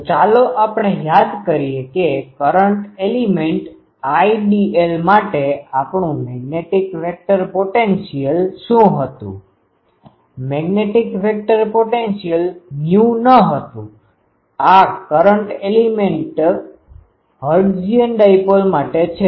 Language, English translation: Gujarati, So, let us recall that for a current element ideal what was our magnetic vector potential magnetic vector potential was mu naught; this is for current a current element hertzian dipole